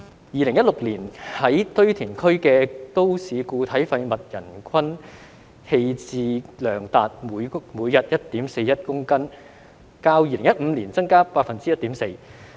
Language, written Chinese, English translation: Cantonese, 2016年在堆填區的都市固體廢物人均棄置量達每日 1.41 公斤，較2015年增加 1.4%。, In 2016 the daily disposal of MSW at landfills has reached 1.41 kg per person representing a 1.4 % increase from 2015